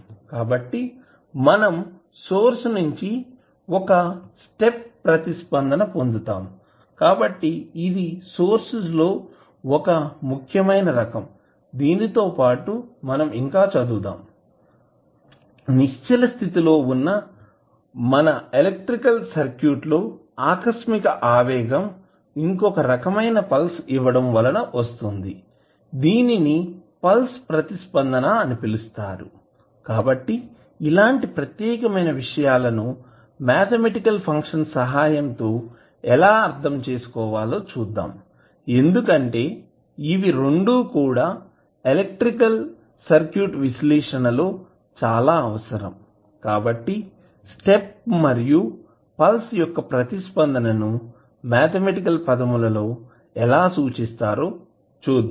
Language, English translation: Telugu, So, we will get one step response of the source so, that is one important type of source which we will study plus when we have the surges coming in the electrical circuit we get another type of pulse in the circuit, that is called the pulse response so, that also we will see how we will interpret that particular event with the help of mathematical function because these two are required for analysis of our electrical circuit so we will see how we will represent both of them in a mathematical term